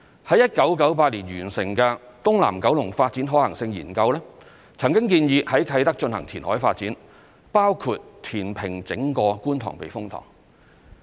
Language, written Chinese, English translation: Cantonese, 於1998年完成的"東南九龍發展可行性研究"曾建議在啟德進行填海發展，包括填平整個觀塘避風塘。, The Feasibility Study for South East Kowloon Development completed in 1998 recommended reclamation development at Kai Tak including reclaiming the entire Kwun Tong Typhoon Shelter